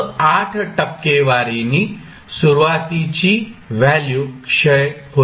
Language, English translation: Marathi, 8 percent of its previous value